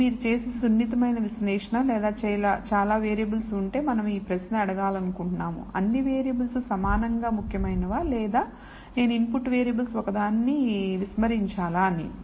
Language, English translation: Telugu, So, this is sensitive analysis you do or if there are many variables we would like to ask this question are all variables equally important or should I discard one of the input variables and so on